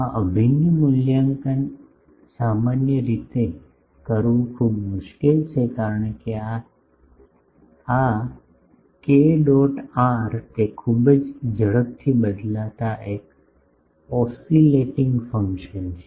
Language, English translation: Gujarati, This integral is very difficult to evaluate in general, because this k dot r it is a very rapidly varying an oscillating function